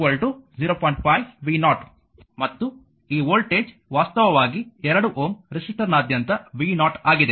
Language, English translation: Kannada, 5 v 0, and this voltage actually is v 0 that is the across 2 ohm resistor